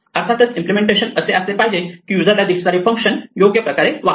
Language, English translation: Marathi, Of course, the implementation must be such that the functions that are visible to the user behave correctly